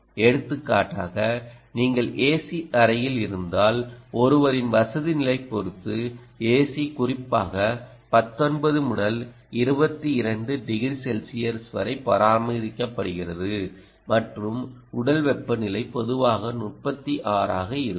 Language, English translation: Tamil, for example, if you are in an a c room, the a c is particularly is perhaps maintained at nineteen to twenty two, depending on one's comfort level, degrees celsius ah and the body temperature is typically at around thirty six